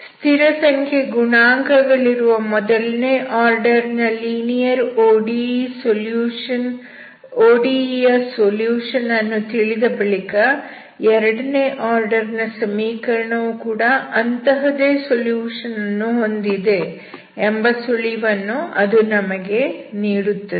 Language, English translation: Kannada, So having known the solution of first order linear ODE with constant coefficient, it gives us a hint to imagine that the second order equation will also have such solution